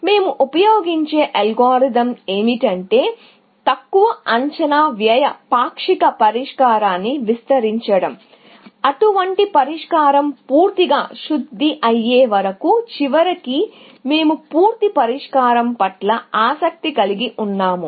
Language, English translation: Telugu, The algorithm that we will use is that; extend the least estimated cost partial solution, till such a solution is fully refined because, in the end, we are interested in a solution, complete solution